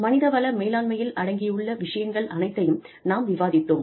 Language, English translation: Tamil, We have discussed, a whole bunch of things, in human resources management